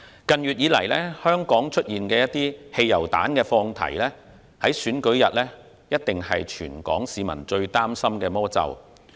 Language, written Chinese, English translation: Cantonese, 近月以來，香港出現汽油彈放題，這在選舉日必定是全港市民最擔心的魔咒。, Hong Kong has seen the unrestrained use of petrol bombs in recent months and this must be the most worrying factor for the people of Hong Kong on the polling day